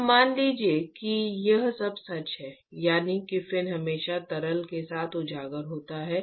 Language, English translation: Hindi, Now assume that all that is true, that is, assume that the fin is always exposed with the liquid